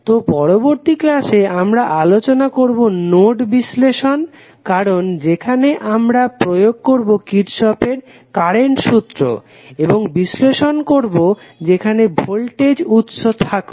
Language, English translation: Bengali, So, in the next class we will discuss about the node analysis because that is where we will apply our Kirchhoff Current Law and analyze the circuit where voltage sources are there, thank you